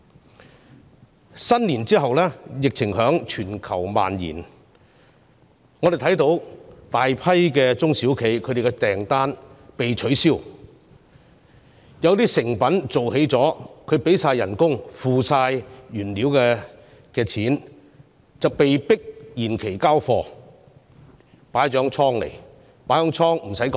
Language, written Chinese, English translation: Cantonese, 農曆新年後，疫情在全球蔓延，我們看到大量中小企的訂單被取消，有些已製成的貨品——相關的薪金及原材料費用都已支出——被迫延期交貨，要放置在貨倉。, After the Lunar New Year the epidemic has been spreading globally and we have seen many SMEs having their orders cancelled and being forced to postpone the delivery of some finished products―the relevant wages and the costs of raw materials have been paid for―and store them in warehouses